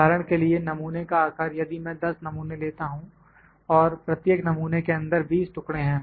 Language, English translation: Hindi, For instance, the sample size, if I pick 10 samples and each sample has 20 pieces in it